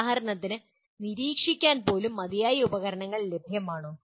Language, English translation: Malayalam, And for example to even monitor, are there adequate tools available